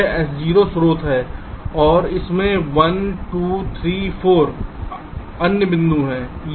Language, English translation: Hindi, this s zero is the source and there are one, two, three, four other points